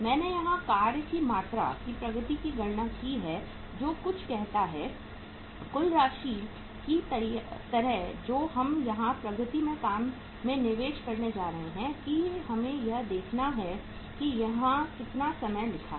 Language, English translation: Hindi, I have calculated here the amount of work in progress which is say something like uh total amount which we are going to have here investment in the work in progress here that we have to see that how much time the it is written here